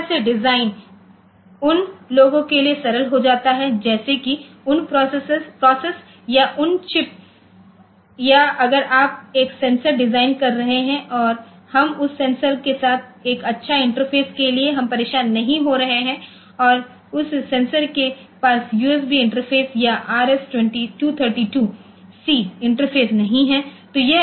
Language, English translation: Hindi, So, that way the design becomes simpler for those say those process those say chips or if you are designing a sensor maybe we do not bother much to have a very good interface with that sensor and that sensor may not have say for example, USB interface or R S 2 32 C interface like that